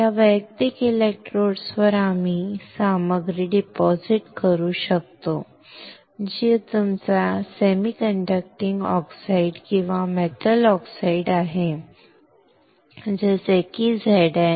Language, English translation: Marathi, On these individual electrodes we can deposit material which is your semiconducting oxide or metal oxide such as ZnO right